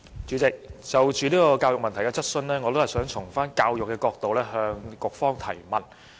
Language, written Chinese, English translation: Cantonese, 主席，就教育問題，我想從教育的角度，向局方提問。, President I would like to ask the Bureau from the perspective of education